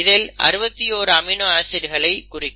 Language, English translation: Tamil, So you need the amino acids